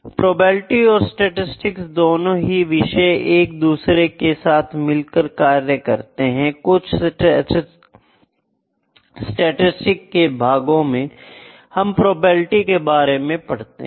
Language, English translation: Hindi, So, the subjects of probability and statistics both work together, there are certain sections in statistics, I will work about the probabilistic aspects in statistics aspects in statistics